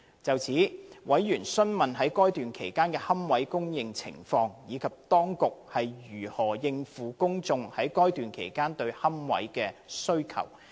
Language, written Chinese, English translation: Cantonese, 就此，委員詢問在該段期間的龕位供應情況，以及當局如何應付公眾在該段期間對龕位的需求。, In this connection members ask about the supply of public niches in that period and how the public demand for niches therein could be met